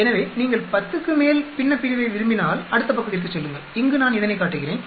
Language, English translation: Tamil, So, if you want numerator more than 10 you go the next page here I am showing this right